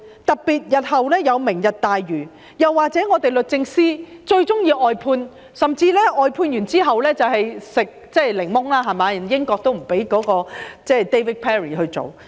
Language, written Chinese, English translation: Cantonese, 例如，日後有"明日大嶼願景"，又或是律政司最喜歡外判，甚至外判之後"食檸檬"，連英國也不准許 David PERRY 接受委任。, A case in point is the Lantau Tomorrow Vision to be implemented in the future . Or in another case the Department of Justice which prefers briefing out cases hit a snag when there was opposition from the United Kingdom to David PERRY taking his appointment